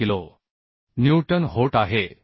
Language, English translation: Marathi, 72 kilo Newton